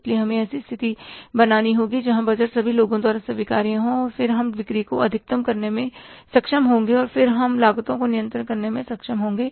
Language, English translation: Hindi, So, we will have to create the situation where the budget is acceptable by all the people and then we will be able to maximize the sales also and then we will have to will be able to keep the cost under control